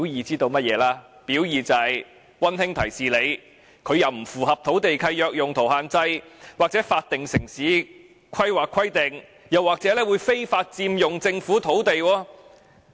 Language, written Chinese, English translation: Cantonese, 就是溫馨提示你，龕場既不符合土地契約用途限制或法定城市規劃規定，又或非法佔用政府土地。, It is a gentle reminder that the columbarium has not complied with the requirements of the user restrictions in the land leases or the statutory town planning requirements or has illegally occupied Government land